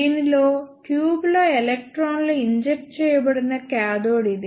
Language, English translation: Telugu, In this, this is the cathode from where electrons are injected in the tube